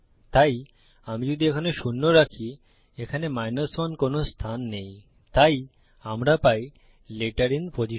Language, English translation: Bengali, So if I put zero here there is no position 1 so we get letter in position